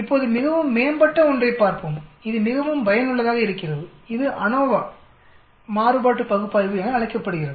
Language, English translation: Tamil, Now let us look at something much more advanced it is extremely useful that is called the ANOVA, analysis of variance